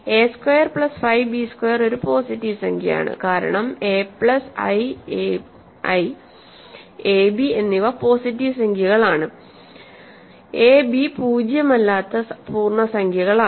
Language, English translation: Malayalam, Remember a squared plus 5 b squared is a positive number, because a plus i, a and b are positive integers a and b are integers nonzero integers